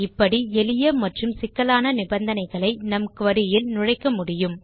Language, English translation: Tamil, This is how we can introduce simple and complex conditions into our query